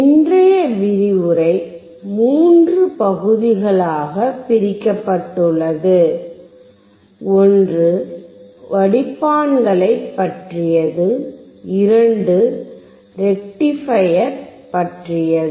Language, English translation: Tamil, Today’s lecture is divided into 3 parts, one is about the filters, and two about rectifiers